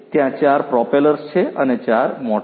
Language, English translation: Gujarati, So, there are 4 propellers so, 4 motors